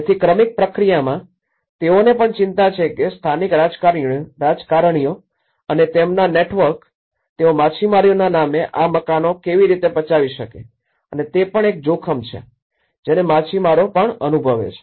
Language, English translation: Gujarati, So, in gradual process, they also have worried about how the local politicians and their networks, how they can grab these houses on the name of fishermanís that is also one of the threat which even fishermen feel about